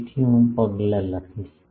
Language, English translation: Gujarati, So, I will write the steps